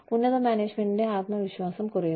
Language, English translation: Malayalam, Dwindling confidence in the confidence of top management